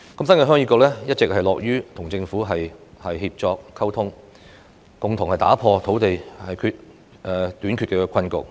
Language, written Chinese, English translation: Cantonese, 新界鄉議局一直樂於與政府協作溝通，共同打破土地短缺的困局。, The New Territories Heung Yee Kuk has always been willing to cooperate and communicate with the Government to address the predicament of land shortage together